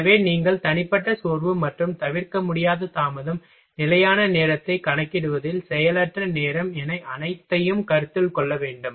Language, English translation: Tamil, So, you will have to take all consideration in personal fatigue, and unavoidable delay, idle time in a calculation of standard time